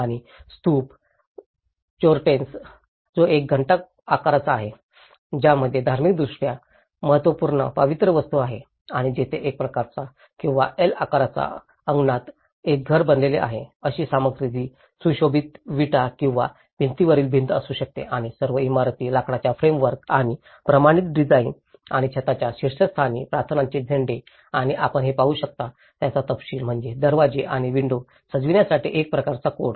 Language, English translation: Marathi, And the Stupas, the Chortens which is a bell shaped which contains a religiously significant sacred objects and there is a house forms either in I shape or an L shape courtyards, materials which could be a sundried bricks or a rammed earth walls and with all the timber frames with the standardized design and also the prayer flags on the top of the roofs and the details what you can see is a kind of a code for the decoration of doors and windows